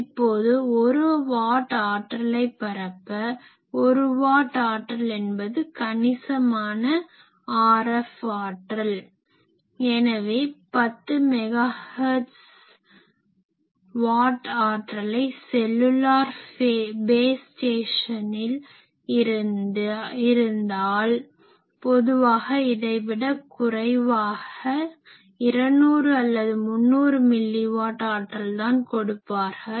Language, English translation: Tamil, So, I want to transmit 1 watt, 1 watt of power is sizable RF power so, at 10 megahertz 1 watt power, if I give actually the you know in cellular base station etc, they even 1 watt of power also they do not give they give 200 and300 mill watt power